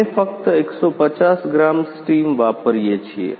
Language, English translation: Gujarati, We are using only 150 gram steam